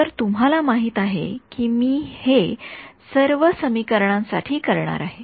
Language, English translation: Marathi, So, that you know that I am going to do it to all of these equations ok